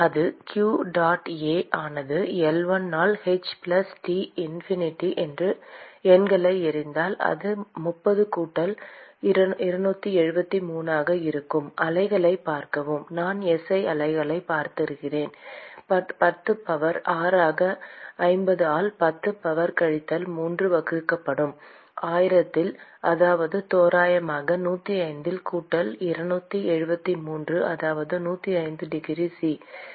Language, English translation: Tamil, And that will be q dot A into L1 by h plus T infinity if I throw in the numbers it will be 30 plus 273 watch the units I am using SI units into 10 power 6 multiplied by 50 into 10 power minus 3 divided by 1000, that is approximately 105 plus 273, that is 105 degrees C